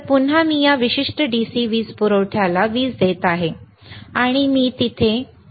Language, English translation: Marathi, So, again I am giving a power to this particular DC power supply, and I given it to here